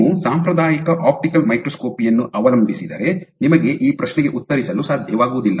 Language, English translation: Kannada, So, to answer this question if you rely on conventional optical microscopy you would not be able to answer that question